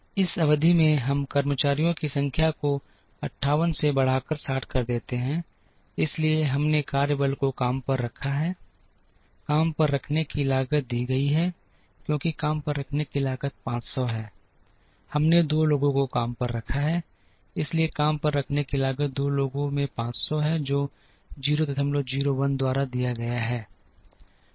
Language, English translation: Hindi, In this period we increase the workforce from 58 to 60, therefore we hired workforce, cost of hiring is given as cost of hiring is 500 we hired 2 people, so the hiring cost is 500 into 2 people, which is given by 0